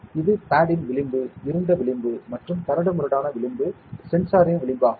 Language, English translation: Tamil, This is the edge of the pad, ok and the dark edge that rough edge is the edge of the sensor